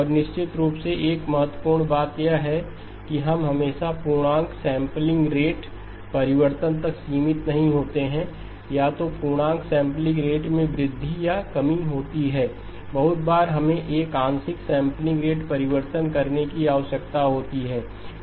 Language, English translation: Hindi, And of course one of the key things is we are not always limited to integer sampling rate change either increase by an integer sampling rate or a decrease, very often we are required to do a fractional sampling rate change